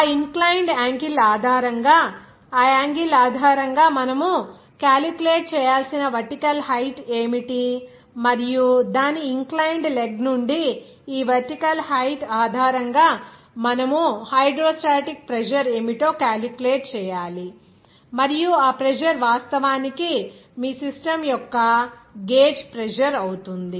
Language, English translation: Telugu, Based on which that inclined angle, what will be the vertical height for that you have to calculate based on that angle, and based on this vertical height from its inclined leg, you have to calculate what should be the hydrostatic pressure and that pressure will be actually gauge pressure of your that system